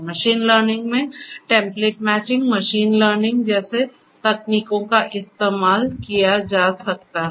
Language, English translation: Hindi, Techniques such as template matching, in machine learning could be used for doing it